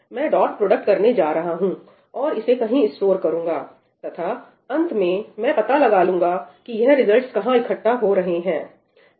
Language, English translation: Hindi, I am going to do the dot product, store it somewhere and in the end we will figure out a way to accumulate these results